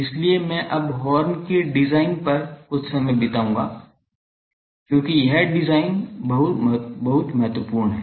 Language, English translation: Hindi, So, I will now spend some time on the design of the horn, because that design is very important